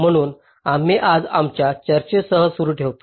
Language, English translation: Marathi, so we continue with our discussion today